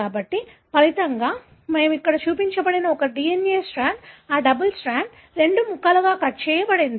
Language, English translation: Telugu, So, as a result, one DNA strand, that double strand that we have seen here, is cut into two fragments